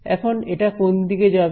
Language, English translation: Bengali, So, which way is it going to go